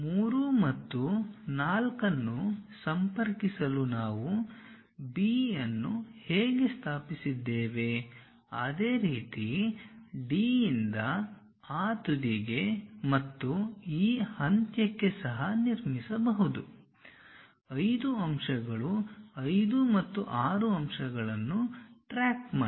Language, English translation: Kannada, The way how we have located B to connect 3 and 4, similar way one can even construct from D all the way to that end and all the way to this end to track 5 point 5 and 6 points